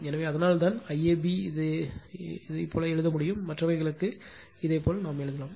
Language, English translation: Tamil, So, that is why IAB you can write like this, similarly for the other otherwise also we can do this